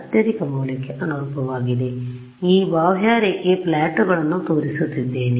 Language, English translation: Kannada, So, what I am showing this contour plots right